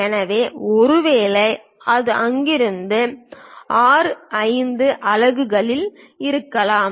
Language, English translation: Tamil, So, perhaps this is the center from there it might be at R5 units